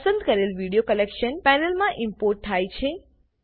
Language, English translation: Gujarati, The selected video is being imported into the Collection panel